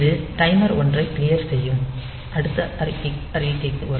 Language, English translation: Tamil, So, it will come to the next statement where it will clear the timer 1